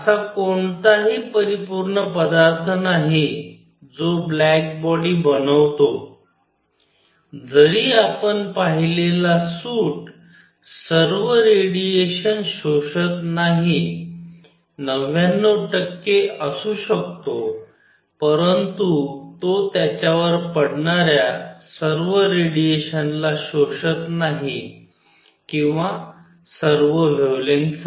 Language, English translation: Marathi, There is no perfect material that forms a black body even the suit that you see does not absorb all the radiation may be 99 percent, but it does not absorb all the radiation falling on it or for all the wavelength